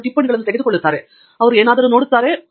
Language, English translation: Kannada, They keep taking notes, they keep looking at something